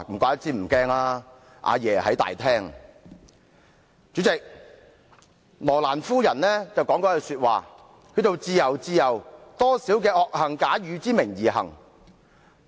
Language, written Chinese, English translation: Cantonese, 代理主席，羅蘭夫人曾說過一句話："自由，自由，多少罪惡假汝之名而行！, Deputy President Madame ROLAND once said Oh Liberty! . Liberty! . What crimes are committed in thy name!